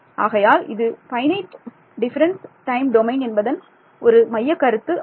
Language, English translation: Tamil, So, we will see why we called that finite difference time domain